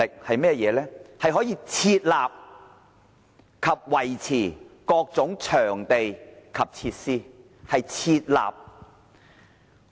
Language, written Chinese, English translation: Cantonese, 市政局可以設立及維持各種場地及設施，是"設立"。, The former Urban Council was authorized to set up various venues and facilities . Yes it could set up venues and facilities